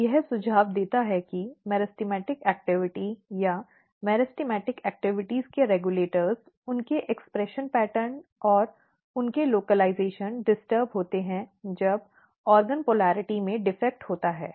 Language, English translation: Hindi, So, this suggest that the meristematic activity or the regulators of meristematic activities their expression pattern and their localization is disturbed when you have defect in the organ polarity